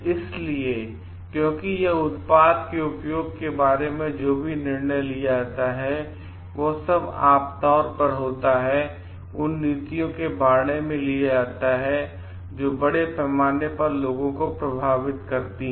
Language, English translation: Hindi, So, because it whatever decision is taken about the use of the product, and all generally it is taken about policies that effects the people at large